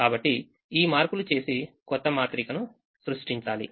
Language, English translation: Telugu, so make this modification and create a new matrix